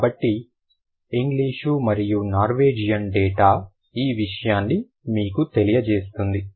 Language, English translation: Telugu, So, the English and Norwegian data is going to tell you that